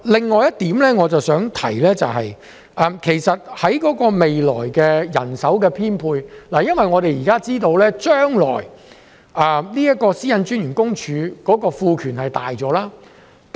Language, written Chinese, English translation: Cantonese, 我想提出的另外一點，是有關未來的人手編配，因為我們知道，個人資料私隱專員將會獲賦予更大權力。, Another point which I wish to raise is about manpower deployment in the future because we know that more power will be conferred upon the Privacy Commissioner for Personal Data